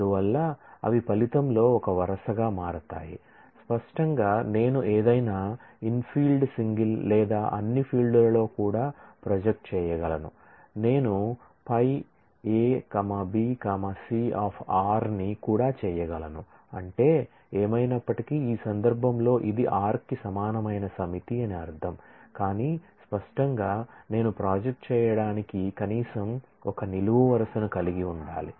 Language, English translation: Telugu, And hence, they become one row in the result; obviously, I can project on any of the infield single or all the fields also I can do a projection of this A B C of r of course, that means, in this case that will mean that it is a set which is equal to r anyway, but; obviously, I must have at least 1 column at least one attribute to project on